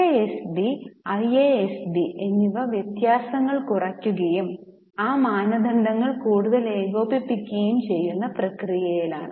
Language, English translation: Malayalam, FASB and IASB are in the process of eliminating the differences and bring those standards nearer